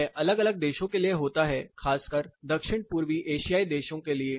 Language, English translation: Hindi, You know prominently from South East Asian countries